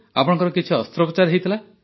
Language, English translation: Odia, Have you had any operation